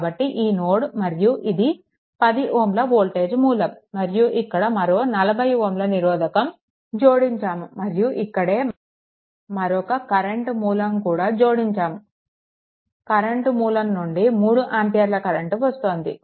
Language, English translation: Telugu, So, this is the node ah this is your voltage source at 10 ohm, then across here also another 40 ohm is connected, right and here also same thing a current source is also connected a current source it is also 3 ampere